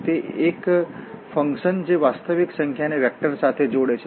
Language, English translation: Gujarati, So, these are the functions that map a real number to a vector